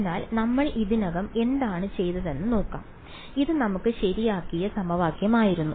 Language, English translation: Malayalam, So, let us look at what we have already done, this was the equation that we had alright